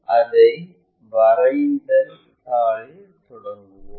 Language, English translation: Tamil, So, let us begin that on our drawing sheet